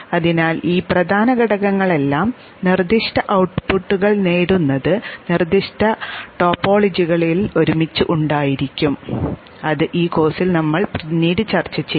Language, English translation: Malayalam, So all these major components will be put together in specific topologies to achieve specific outputs which we will discuss later on in this course